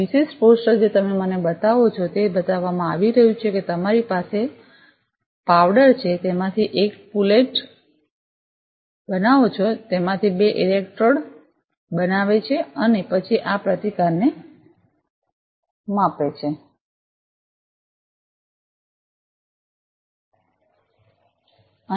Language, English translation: Gujarati, This particular poster you show it is being showed that you have a powder you make a pullet out of it make two electrode and then measure this resistance